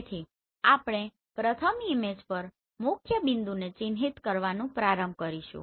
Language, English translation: Gujarati, So what we will do we will start marking the principal point on the first image